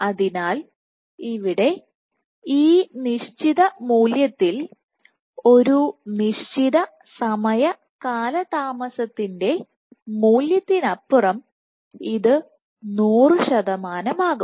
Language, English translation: Malayalam, So, here at this value beyond a certain time delay this is going to be 100 percent